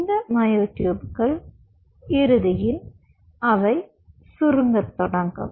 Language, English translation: Tamil, these myotubes will eventually, as their form, they will start contracting